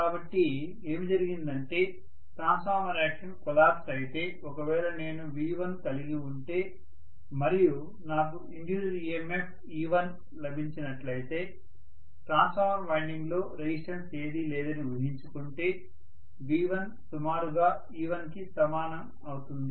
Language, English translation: Telugu, So what has happened is, if the transformer action collapses, if I have got V1 and originally I had got an induced emf of e1, V1 was approximately equal to e1 assuming that the resistance is hardly anything within the transformer winding